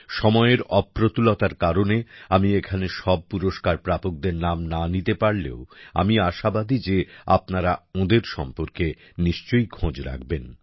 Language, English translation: Bengali, Due to the limitation of time, I may not be able to talk about all the awardees here, but I am sure that you will definitely read about them